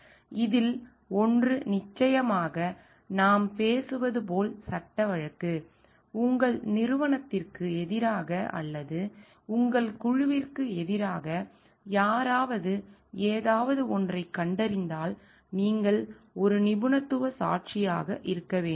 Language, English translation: Tamil, One of this is of course, like we are talking of is the legal case; where somebody may have find something against your company or against your group and you need to be there as a expert witness